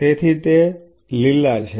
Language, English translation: Gujarati, So, those are the green